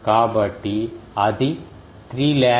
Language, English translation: Telugu, So, 2 pi into 1000